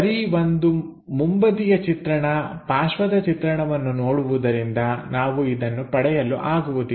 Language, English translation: Kannada, So, just looking at one front view side view, we will not be in a position to get